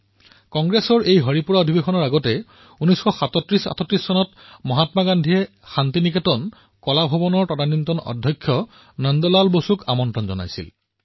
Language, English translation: Assamese, Before the Haripura Session, in 193738, Mahatma Gandhi had invited the then Principal of Shantiniketan Kala Bhavan, Nandlal Bose